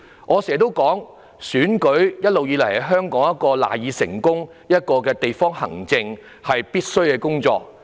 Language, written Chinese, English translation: Cantonese, 我經常說，選舉一直是香港賴以成功的基礎，亦是地方行政必需的工作。, As I often said election has always been the cornerstone of Hong Kongs success and a prerequisite for district administration work